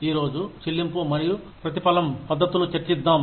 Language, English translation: Telugu, Let us discuss, pay and reward systems, today